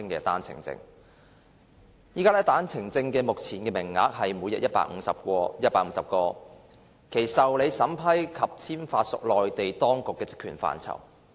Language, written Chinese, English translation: Cantonese, 單程證目前的名額為每日150個，其受理、審批及簽發屬內地當局的職權範圍。, At present the daily quota for OWPs is 150 and the application vetting approval and issuance of OWPs fall within the remit of the Mainland authorities